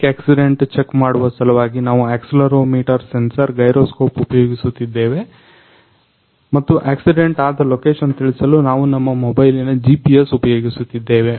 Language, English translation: Kannada, Now, for bike accident for checking the bike accident, we are using accelerometer sensor, gyroscope and sending the location of the accident happened; we are using GPS of our mobile